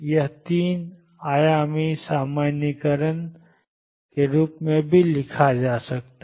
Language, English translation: Hindi, It is 3 dimensional generalization can also be written